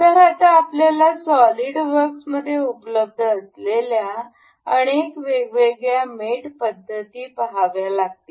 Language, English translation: Marathi, So, now, we will we will have to see many different mating mating methods that are available in SolidWorks